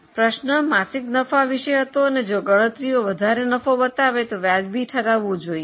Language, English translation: Gujarati, The question was find monthly profits and if your calculation brings out higher profits kindly justify the findings